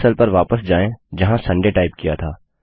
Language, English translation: Hindi, Go back to the cell where Sunday was typed